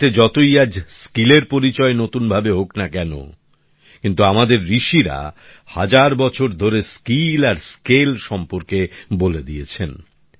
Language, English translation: Bengali, Even though skill is being recognized in a new way in the world today, our sages and seers have emphasized on skill and scale for thousands of years